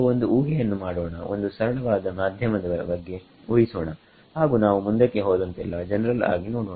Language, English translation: Kannada, So, let us make the assumption we will start with a very simple assumption of a medium and as we go in subsequent modules we will generalized it ok